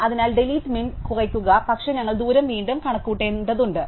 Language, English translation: Malayalam, So, we would use delete min, but then we have also to recompute the distance